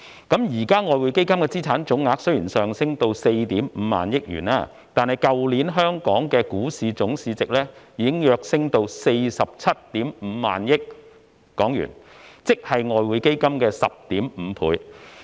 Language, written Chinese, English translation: Cantonese, 現時的外匯基金資產總額雖已上升至 45,000 億元，但去年的香港股市總市值已躍升至 475,000 億港元，即外匯基金的 10.5 倍。, Although the total value of the assets of EF has already increased to 4,500 billion now the total market capitalization of the Hong Kong stock market surged to 47,500 billion last year which is 10.5 times of the value of the EF assets